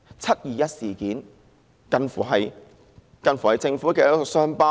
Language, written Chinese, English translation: Cantonese, "七二一"事件更近乎是政府的一道傷疤。, The 21 July incident is like a scar of the Government